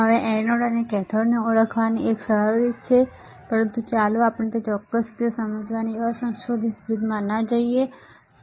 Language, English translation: Gujarati, Now, there is an easier way of identifying anode, and cathode, but let us not go in that particular way of crude way of understanding